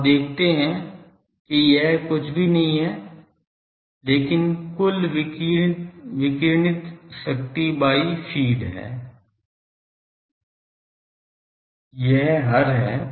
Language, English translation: Hindi, So, you see that this is nothing, but total radiated power by feed this denominator